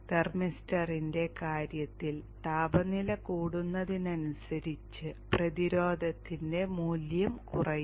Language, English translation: Malayalam, In the case the thermister as the temperature increases the value of the resistance will come down will decrease